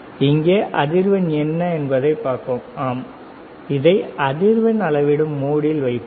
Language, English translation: Tamil, So, let us see, what is the frequency here connected to frequency, yes; it is a mode of frequency